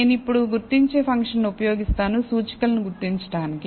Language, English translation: Telugu, I now, use the identify function to identify the indices